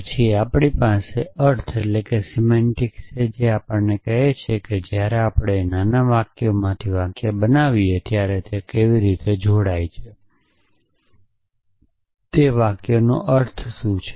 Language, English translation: Gujarati, Then we have the lotion of semantics which tells us that when we make sentences out of smaller sentences, how do they combine, what is the meaning of those sentences